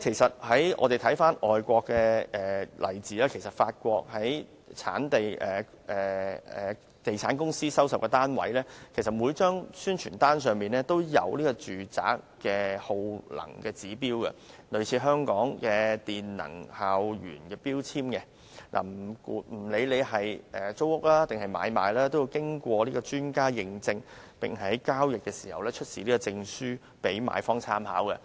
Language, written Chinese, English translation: Cantonese, 看看外國的例子，法國的地產公司所代理的單位，在每張宣傳單上都印有有關單位的耗能指標，類似香港的能源標籤，耗能指標經過專家驗證，在交易時出示此證書讓買方參考。, Let us look at some overseas examples . In France real estate agents are required to provide on the promotion leaflet the energy consumption indicator of the unit for rental or sale . The indictors similar to Hong Kongs energy label are certified by experts and the relevant certificates are presented to the buyer when a transaction takes place